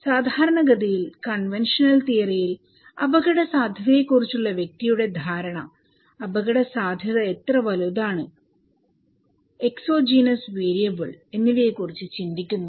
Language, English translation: Malayalam, Generally, in the conventional theory, they think that individual's perception of risk matter, how big the hazard is; the exogenous variable